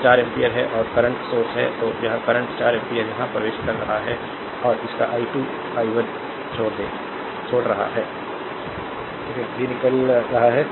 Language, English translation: Hindi, So, this is 4 ampere current source, through this branch current is flowing i 2 this is i 1 current flowing through i 3 right